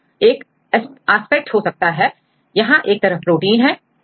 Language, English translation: Hindi, So, this is one aspect here one side we have the protein